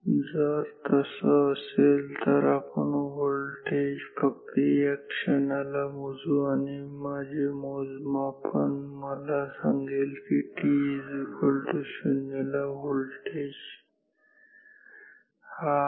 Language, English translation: Marathi, So, if so, now; that means, we will measure this voltage only at this moments and my measurement will tell me that this is the voltage at t equal to 0